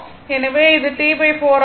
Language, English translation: Tamil, So, it is T by 4